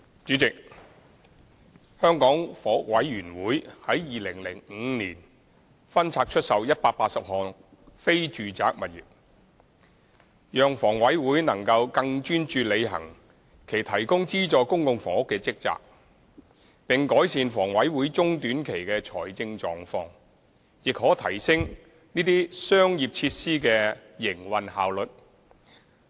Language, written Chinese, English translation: Cantonese, 主席，香港房屋委員會在2005年分拆出售180項非住宅物業，讓房委會能夠更專注履行其提供資助公共房屋的職責，並改善房委會中短期的財政狀況，亦可提升這些商業設施的營運效率。, President in 2005 the Hong Kong Housing Authority HA divested 180 non - residential properties with a view to enabling HA to focus on its core function of providing subsidized public housing improving HAs financial position in the short - to - medium term as well as improving the operation efficiency of such commercial facilities